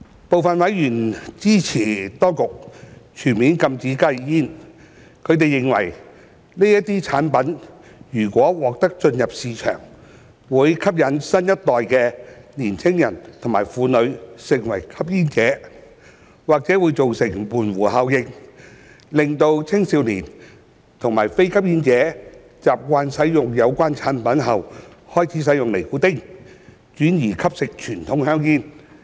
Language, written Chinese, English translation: Cantonese, 部分委員支持當局全面禁止加熱煙，他們認為，這些產品如獲准進入市場，會吸引新一代的年輕人和婦女成為吸煙者，或會造成門戶效應，令青少年及非吸煙者習慣使用有關產品後開始使用尼古丁，轉而吸食傳統香煙。, Certain members who have expressed support for the proposed full ban of HTPs consider that the entry of such products into the local market if allowed would attract a new generation of adolescents and women to become smokers or bring about gateway effects where youngsters and non - smokers getting used to these products would initiate nicotine use and turn to consume conventional cigarettes